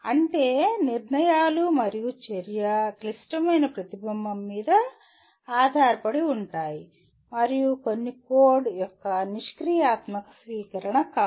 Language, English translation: Telugu, That means decisions and action are based on critical reflection and not a passive adoption of some code